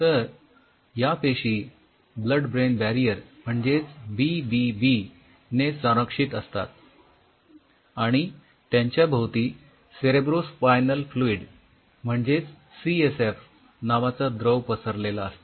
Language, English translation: Marathi, So, these are protected by blood brain barrier BBB, and they are bathe in cerebrospinal fluid CSF Cerebro Spinal Fluid blood brain barrier